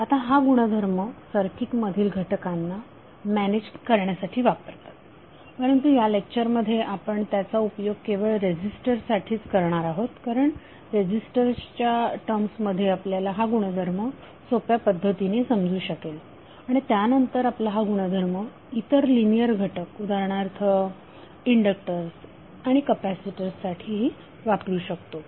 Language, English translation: Marathi, Now although the property applies to manage circuit elements but in this particular lecture we will limit our applicable to registers only, because it is easier for us to understand the property in terms of resistors and then we can escalate for other linear elements like conductors and capacitors